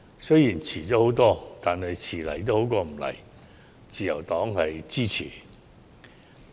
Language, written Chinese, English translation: Cantonese, 雖然遲了很多，但遲到總比不到好，自由黨表示支持。, Although this amendment has come late it is better late than never . The Liberal Party therefore supports this amendment